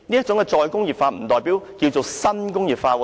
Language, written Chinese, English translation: Cantonese, 主席，"再工業化"不等於新工業化。, President re - industrialization is not the same as new industrialization